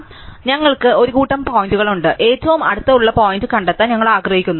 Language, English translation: Malayalam, So, we have a bunch of points and we want to find the closest point